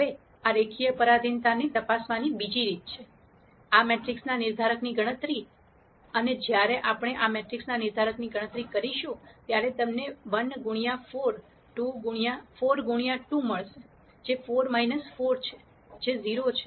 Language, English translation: Gujarati, Now another way to check this linear dependence is to calculate the determinant of this matrix, and when we calculate the determinant of this matrix, you will get 1 times 4 minus 2 times 2, which is 4 minus 4 which is 0